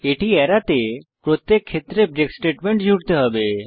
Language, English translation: Bengali, To avoid that, we need to add a break statement in each case